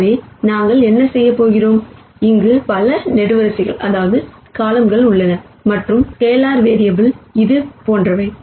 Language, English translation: Tamil, So, what we are doing is there are many columns here and there are, these scalar constants much like this